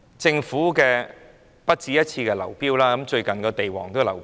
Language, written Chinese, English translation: Cantonese, 政府土地招標已不止一次出現流標，最近連地王也流標。, The Governments invitation of tenders for land lots has failed more than once . Even the recent tendering exercise for a prime site has failed